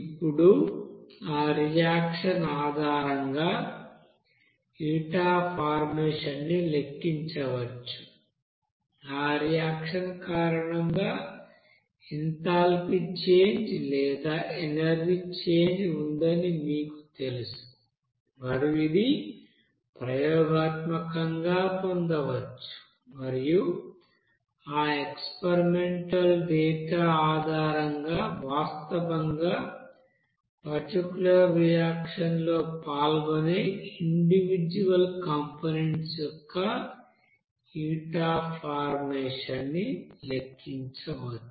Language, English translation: Telugu, Now that heat of formation can be calculated based on that reaction, you know enthalpy change or energy changed due to that reaction and which can be obtained experimentally and based on that experimental data this heat of formation can be calculated for that individual components which are actually taking part in that particular reaction